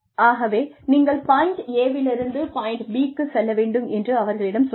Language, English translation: Tamil, So, you tell them that, you will need to go from point A to point B